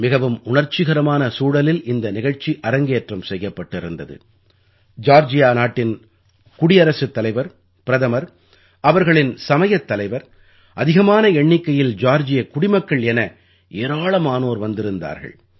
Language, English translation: Tamil, The ceremony, which took place in a very emotionally charged atmosphere, was attended by the President of Georgia, the Prime Minister, many religious leaders, and a large number of Georgians